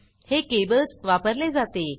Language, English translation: Marathi, This is done using cables